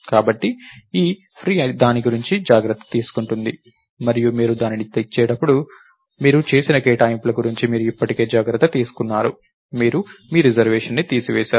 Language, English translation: Telugu, So, this free takes care of that and when you return it, you have already taken care of whatever allocation you have done, you have removed your reservation